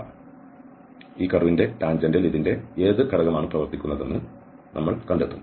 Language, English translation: Malayalam, So, we will find that what component of this is acting along the tangent of this curve